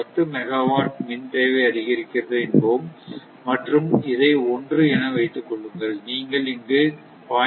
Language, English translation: Tamil, Ten megawatt power demand increase and suppose this a1, if you put 0